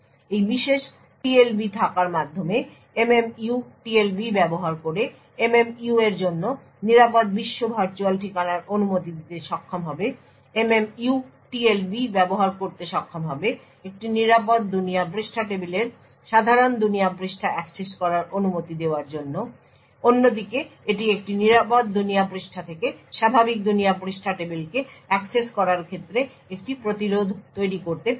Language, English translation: Bengali, By having this particular TLB The MMU would be able to use the TLB to allow secure world virtual address for MMU would be able to use the TLB to permit a secure world page tables to access normal world page on the other hand it can also prevent a normal world page table from accessing a secure world page